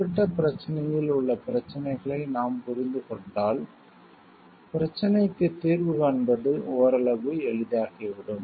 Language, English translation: Tamil, Once we can understand the issues which are present in the particular problem, then finding a solution to the problem become somewhat easy